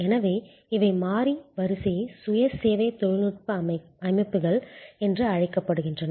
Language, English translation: Tamil, So, these are called variable sequence self service technology systems